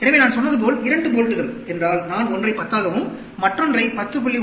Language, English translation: Tamil, So, like I said, if the 2 bolts, I take one is 10 and another is 10